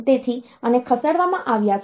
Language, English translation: Gujarati, So, these ones are shifted